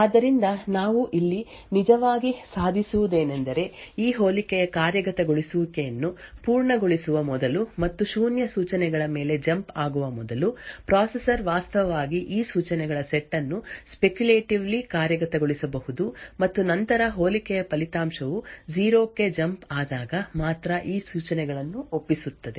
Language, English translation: Kannada, So what we actually achieve over here is that even before completing the execution of this compare and jump on no zero instructions the processor could have actually speculatively executed these set of instructions and then commit these instructions only when the result of compare and jump on no 0 is obtained